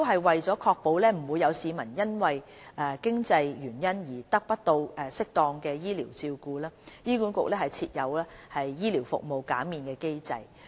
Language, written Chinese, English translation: Cantonese, 為確保不會有市民因經濟原因而得不到適當的醫療照顧，醫管局設有醫療費用減免機制。, To ensure that no one will be denied adequate medical care due to lack of means HA has put in place a medical fee waiver mechanism